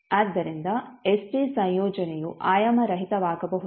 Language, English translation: Kannada, So that the combination st can become dimensionless